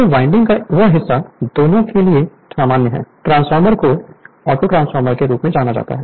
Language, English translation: Hindi, So, that part of the winding is common to both, the transformer is known as Autotransformer